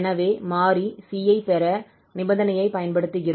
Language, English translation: Tamil, So we use this condition to get the constant c there